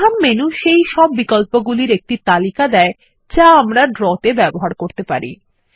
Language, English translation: Bengali, The Main menu lists all the options that we can use in Draw